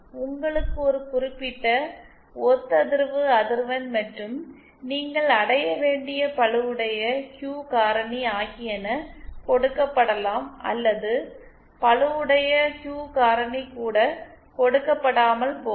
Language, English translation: Tamil, You are given a certain resonant frequency and the loaded Q factor that you might you have to achieve or you might not even be given the loaded Q factor